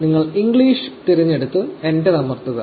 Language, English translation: Malayalam, You select English and we press enter